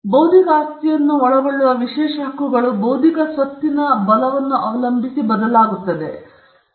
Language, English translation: Kannada, Now, we were mentioning that the exclusive set of rights that an intellectual property right encompasses would also vary depending on the kind of intellectual property right